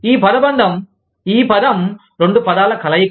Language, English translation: Telugu, This phrase, this term, into two words